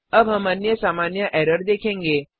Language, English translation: Hindi, Now we will see another common error